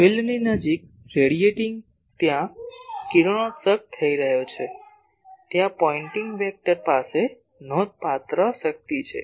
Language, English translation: Gujarati, Radiating near field is there radiation is taking place so, there the Pointing vector is having substantial power